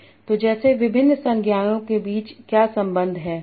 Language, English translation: Hindi, So like what are the relations between various nouns